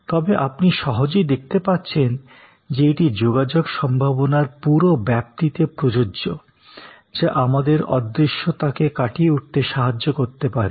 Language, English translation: Bengali, But, actually you can easily see that, this will apply to the entire range of communication possibilities, that can help us overcome intangibility